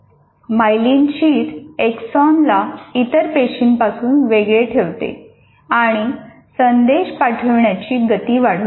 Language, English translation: Marathi, The myelin sheath insulates the axon from the other cells and increases the speed of impulse transmission